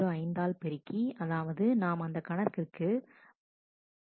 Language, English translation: Tamil, 005 which means that we are giving a 0